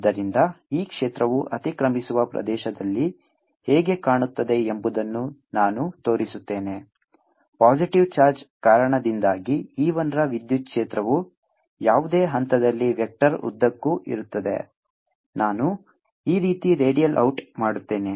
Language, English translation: Kannada, so let me show how this field looks in the overlapping region: the electric field due to e one due to the positive charge is going to be at any point, is going to be along the vector